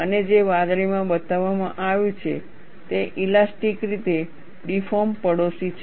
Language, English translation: Gujarati, And what is shown in blue, is the elastically deformed neighborhood